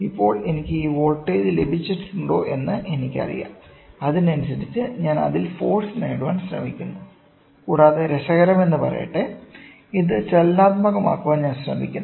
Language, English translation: Malayalam, So, now, I know if I have got this voltage, so, I correspondingly try to get the forces on it and interestingly I also try to make it dynamic